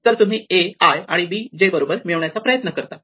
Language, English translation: Marathi, So, you match a i and b j right